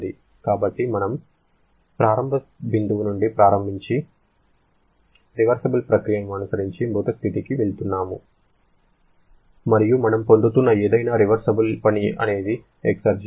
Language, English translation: Telugu, So, we are starting from our initial point and going to the dead state following a reversible process and whatever reversible work that we are getting that is the exergy